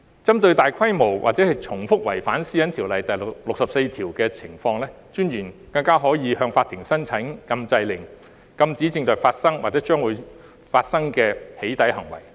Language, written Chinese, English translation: Cantonese, 針對大規模或重複違反《私隱條例》第64條的情況，私隱專員更加可以向法庭申請禁制令，禁止正在發生或將會將生的"起底"行為。, In response to large - scaled or repeated commissions of offences under section 64 of PDPO the Commissioner may even apply to the court for injunctions to prohibit the ongoing or future doxxing activities